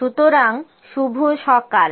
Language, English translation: Bengali, So, Good Morning